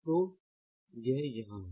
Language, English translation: Hindi, so this is one